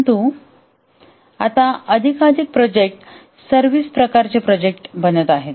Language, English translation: Marathi, But now more and more projects are becoming services type of projects